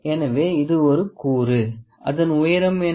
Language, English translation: Tamil, So, this is one component, so what is the height of this component